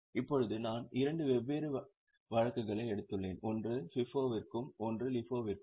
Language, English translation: Tamil, Now, I have taken two different cases, one for FIFO and one for LIFO